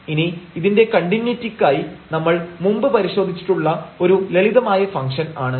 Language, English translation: Malayalam, Now for the continuity again it is a simple function we have already tested before